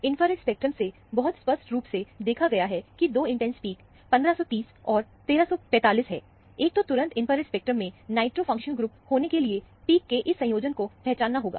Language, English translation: Hindi, From the infrared spectrum, very clearly seen that, there are 2 intense peaks, 1530 and 1345, one should immediately recognize this combination of peaks to be the nitro functional group in the infrared spectrum